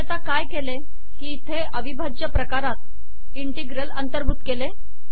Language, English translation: Marathi, So what I have done is the integral mode includes the term this integral